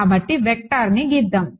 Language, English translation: Telugu, So, let us draw a vector right